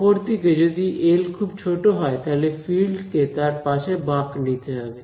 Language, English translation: Bengali, On the other hand, if L was very small then the field will have to sort of bend around it